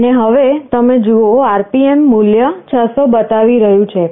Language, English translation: Gujarati, And now, you see the RPM value displayed is showing 600